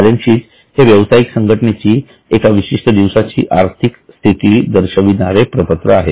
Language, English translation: Marathi, The balance sheet is a statement which shows the financial position of the entity as on a particular day